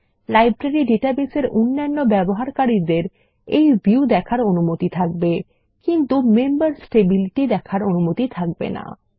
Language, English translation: Bengali, Other users of the Library database can be allowed to access this view but not the Members table